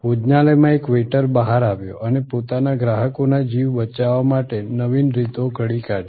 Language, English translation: Gujarati, A waiter in the restaurant came out and devised innovative ways to save the lives of their customers